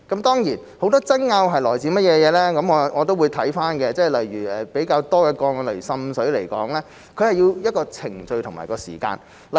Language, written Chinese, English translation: Cantonese, 當然，很多爭拗是來自甚麼，我都會審視，例如比較多的個案涉及滲水，需要一個程序及時間處理。, Certainly I will examine the cause of the arguments . For example there are many cases involving water seepage and we need to spend time undergoing a procedure to deal with them